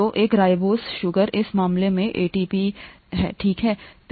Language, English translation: Hindi, So, a ribose sugar, in this case ATP, okay